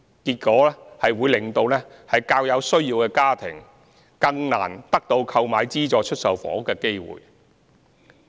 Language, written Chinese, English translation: Cantonese, 結果，這會令較有需要的家庭更難得到購買資助出售房屋的機會。, This will make it more difficult for families with a greater need for purchasing SSFs